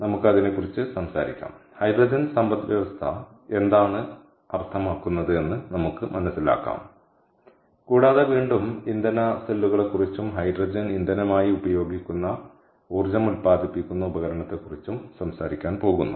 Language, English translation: Malayalam, ok, so lets talk about that, lets understand what hydrogen economy means, what it is, and, and also we are going to talk about fuel cells, which is again and energy generating device that uses hydrogen as the fuel